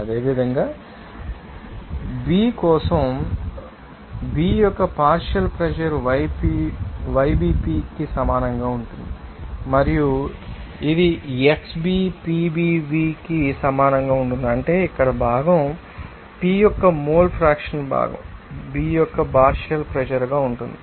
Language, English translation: Telugu, Similarly, for component B that partial pressure of the component B will be equal to yBP and that will be equal to what xBPBV that means here mole fraction of component B into partial you know pressure of component B